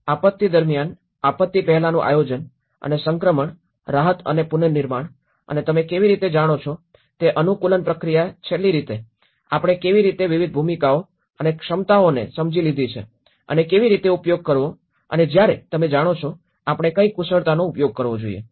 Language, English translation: Gujarati, So the pre disaster planning during disaster and the transition relief and the reconstruction and the last how adaptation process you know, that is how we have understood the different roles and the capacities and how to use and when you know, what expertise we should use